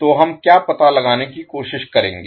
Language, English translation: Hindi, So what we will try to find out